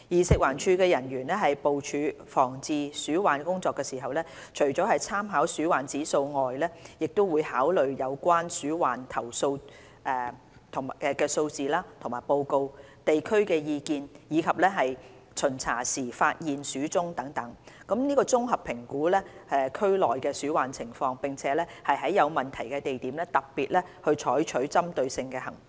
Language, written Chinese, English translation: Cantonese, 食環署人員部署防治鼠患工作時，除了參考鼠患指數外，亦會考慮有關鼠患投訴數字及報告、地區意見，以及巡查時發現的鼠蹤等，綜合評估區內的鼠患情況，並在有問題的地點特別採取針對性行動。, In formulating rodent prevention and control work FEHD will take into account in addition to the RIR factors such as the complaint figures and reports views of the local community and trails left by rodents found during inspections in order to have a comprehensive assessment of the rodent problem in the district concerned and devise targeted anti - rodent operations at problematic areas